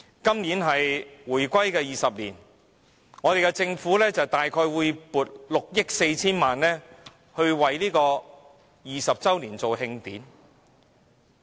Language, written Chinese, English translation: Cantonese, 今年是回歸20周年，政府會撥出約6億 4,000 萬元為20周年舉行慶典。, This year marks the 20 anniversary of our reunification with China . The Government will allocate 640 million to hold celebration activities for the 20 anniversary